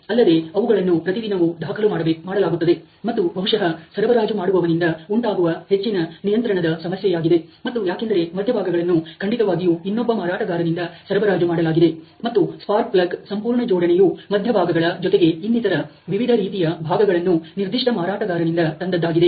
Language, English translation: Kannada, In fact, are recorded that defect every day, and this is probably more of control issue from the supplier and because the cores are supplied obviously by another vendor, and the assembly of the spark plug is from the bot cores from that particular vendor along with the different other components